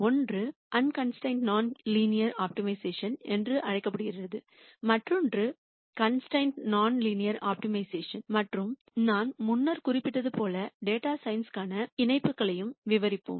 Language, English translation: Tamil, One is called the unconstrained non linear optimization and the other one is constrained nonlin ear optimization and as I mentioned before we will also describe the connections to data science